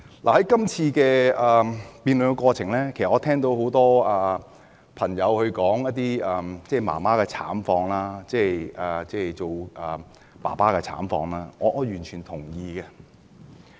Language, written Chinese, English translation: Cantonese, 在今次辯論的過程中，我聽到很多議員提到媽媽、爸爸的慘況，我完全同意。, During this debate I heard many Members mention the plight of parents . I fully appreciate that